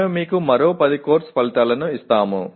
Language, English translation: Telugu, We will give you another 10 course outcomes